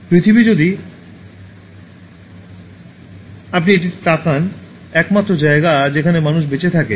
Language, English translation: Bengali, Earth if you look at it, is the only place where humans can survive